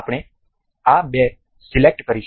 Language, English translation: Gujarati, We will select these two